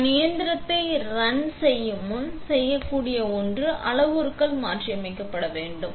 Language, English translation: Tamil, So, before we run the machine, the one thing we can do is change the parameters